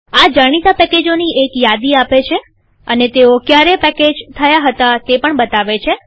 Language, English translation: Gujarati, It gives a list of all the known packages and when it was packaged